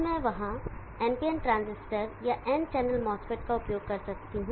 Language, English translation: Hindi, I can use NPN transistor or N channel mass fit there